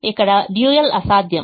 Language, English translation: Telugu, here the dual is infeasible